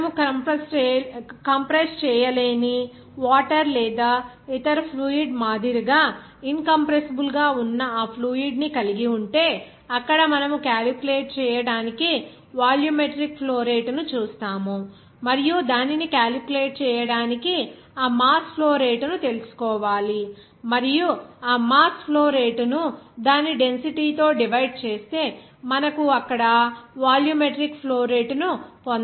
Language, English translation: Telugu, Whereas if you have that fluid that is not compressible, that is incompressible like water or other liquid, there we will see that volumetric flow rate to calculate you need to know that mass flow rate and from that mass flow rate you can get it to just by dividing mass flow rate that is dividing by its density, then you can get it volumetric flow rate there